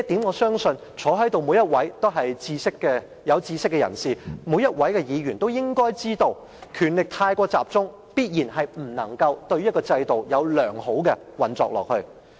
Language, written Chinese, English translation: Cantonese, 我相信在席每位議員都是有識之士，他們都應該知道，權力過於集中，必定令制度不能良好地運作下去。, I believe all Members present are learned people . They should know that the system can definitely not operate properly should there be an over - concentration of powers